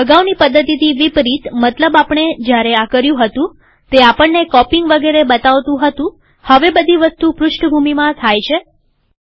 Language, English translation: Gujarati, Unlike the previous technique, that is when we went through this, that it showed the copying and so on, now the whole thing happens in the background